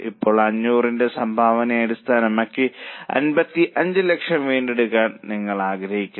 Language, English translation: Malayalam, Now you want to recover 55 lakhs based on a contribution of 500